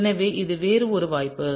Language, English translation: Tamil, So, this is one other possibility